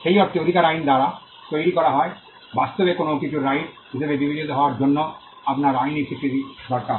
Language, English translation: Bengali, In that sense rights are created by the law, in fact, you need a legal recognition for something to be regarded as a right